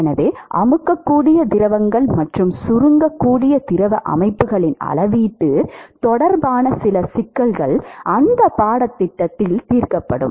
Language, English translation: Tamil, So, some issues related to compressible fluids and quantification of compressible fluid systems will be dealt with in that course